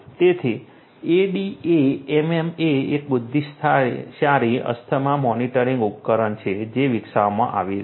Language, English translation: Gujarati, So, ADAMM is an intelligent asthma monitoring device that has been developed